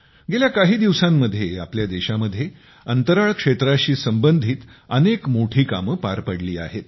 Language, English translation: Marathi, In the past few years, many big feats related to the space sector have been accomplished in our country